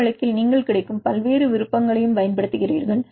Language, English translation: Tamil, In this case you use various options available